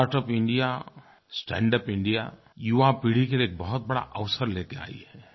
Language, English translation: Hindi, "Startup India, Standup India" brings in a huge opportunity for the young generation